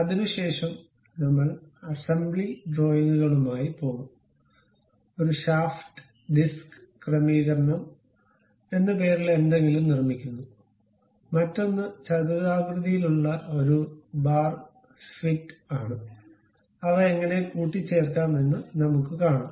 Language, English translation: Malayalam, Thereafter, we will go with assembly drawings, constructing something named a shaft and disc arrangement, and other one is a rectangular bar fit in a square hole, how to assemble these things we will see it